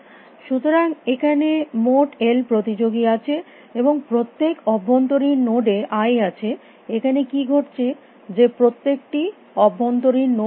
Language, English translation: Bengali, So, there are totally l competitors and in every internal node i what happens every internal node is a heat